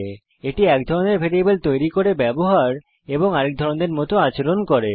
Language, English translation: Bengali, Typecasting is a used to make a variable of one type, act like another type